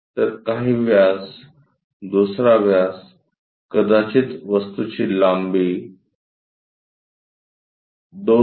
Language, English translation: Marathi, So, some diameter, another diameter perhaps length of the object 2